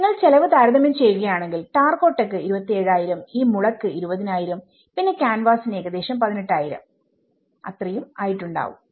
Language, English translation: Malayalam, So, if you compare the cost the terracotta was 27,000 and this one was bamboo was 20,000 and the canvas was about 18,000